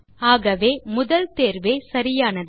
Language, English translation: Tamil, Hence the first option is correct